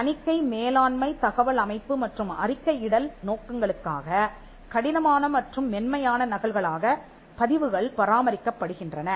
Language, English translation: Tamil, Records are maintained as hard and soft copies for auditing, management information system and reporting purposes